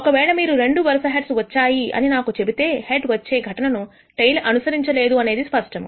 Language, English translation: Telugu, If you tell me two successive heads have occurred, it is clear that the event of head followed by a tail has not occurred